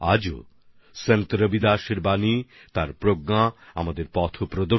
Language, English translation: Bengali, Even today, the words, the knowledge of Sant Ravidas ji guide us on our path